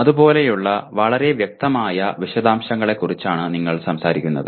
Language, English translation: Malayalam, You are talking of very specific details like that